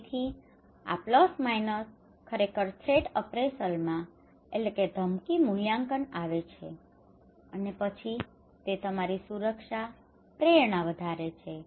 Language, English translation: Gujarati, So this plus minus actually coming to threat appraisal and then it is increasing your protection motivation